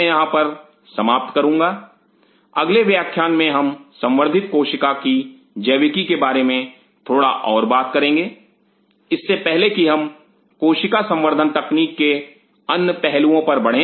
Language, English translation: Hindi, I will close in here in the next class we will talk little bit more about the biology of the cultured cell before we move on to the other aspect of cell culture technology